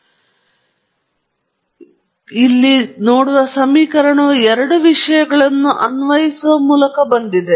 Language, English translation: Kannada, So, the equation that you see here has come about by applying two things